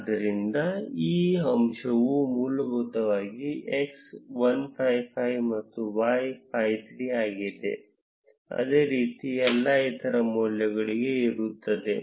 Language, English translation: Kannada, So, this point essentially means that x is 155, and y is 53, similarly for all other values